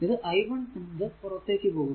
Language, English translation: Malayalam, And this is i 2 is leaving i 1 is also leaving